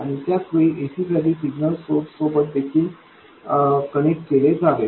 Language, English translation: Marathi, At the same time, it should also get connected to the signal source for AC